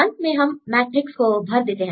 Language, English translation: Hindi, Finally, we fill the metrics